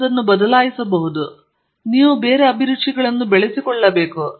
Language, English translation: Kannada, You may change it, but you should cultivate tastes